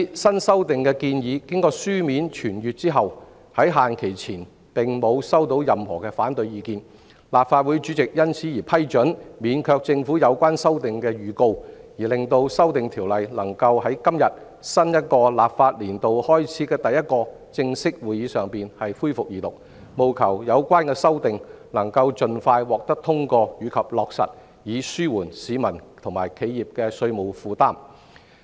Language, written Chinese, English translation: Cantonese, 新修訂的建議經書面傳閱後，在限期前並無收到任何反對意見，立法會主席因而批准免卻政府就有關修訂作出預告，令《條例草案》能夠在今天新一個立法年度開始的第一個正式會議上恢復二讀，務求有關修訂能夠盡快獲得通過及落實，以紓緩市民及企業的稅務負擔。, Since the proposed new amendments were circulated on paper and no objections were received by the deadline the President of the Legislative Council waived the requisite notice for the Government to propose the amendments making way for resumption of the Second Reading debate on the Bill today in this first regular meeting of the new legislative session such that the relevant amendments can be passed and implemented expeditiously to ease the tax burden on individuals and enterprises